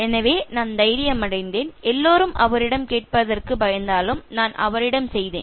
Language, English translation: Tamil, So, I took courage, I went to him although everybody was afraid of asking him